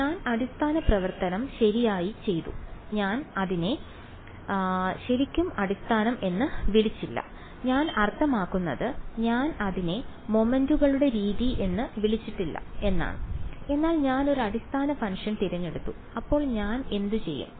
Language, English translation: Malayalam, So, I did the basis function right, I did not really call it basis, I mean I did not call it method of moments and, but I chose a basis function right and then what would I do